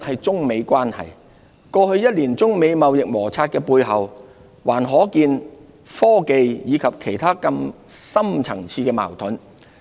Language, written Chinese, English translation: Cantonese, 中美關係第一，過去一年中美貿易摩擦的背後，還可見科技及其他更深層次的矛盾。, First the United States - China trade conflict over the past year has revealed the underlying differences between the two sides which include technology matters as well as other more deep - seated considerations